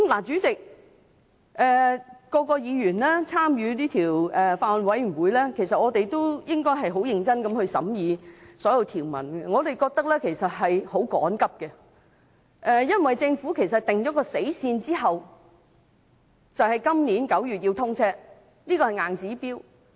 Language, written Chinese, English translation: Cantonese, 主席，法案委員會所有委員，應該很認真審議所有條文，我們認為時間相當趕急，因為政府定下"死線"，高鐵要在今年9月通車，這是一個硬指標。, President all members of the Bills Committee should very seriously scrutinize all the provisions of the Bill . We consider that the deliberation of the Bill has been hastily conducted for the reason that a deadline has been set by the Government . The scheduled commissioning of XRL in September this year is a non - negotiable target